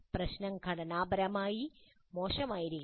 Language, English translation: Malayalam, The problem should be ill structure